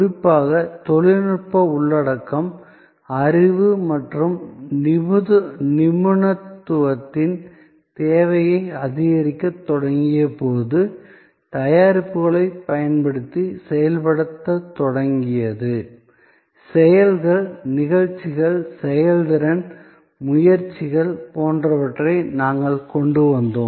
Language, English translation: Tamil, And particularly, when the technology content started increasing the need of knowledge and expertise to operate to use products started augmenting, we brought in things like acts, deeds, performances, efforts